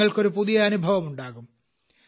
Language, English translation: Malayalam, You will undergo a new experience